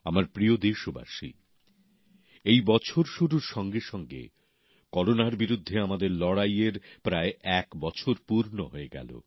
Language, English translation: Bengali, the beginning of this year marks the completion of almost one year of our battle against Corona